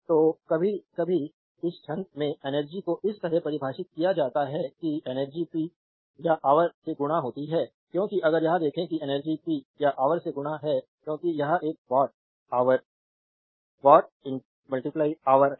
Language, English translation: Hindi, So, sometimes in this rhymes we define energy like this that energy is power multiplied by hour because if you look it that energy is power multiplied by hour because it is a watt hour watt into hour right